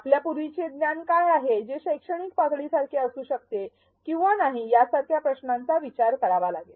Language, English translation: Marathi, You have to consider questions like, what is the prior knowledge which may or may not be the same thing as the educational level